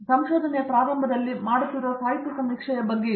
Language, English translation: Kannada, So, this is about the literature survey that we do with at the beginning of the research